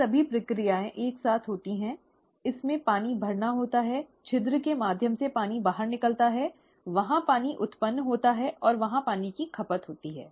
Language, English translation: Hindi, All these processes simultaneously occur, there is filling in, there is water oozing out through the hole, there is water being generated and there is water being consumed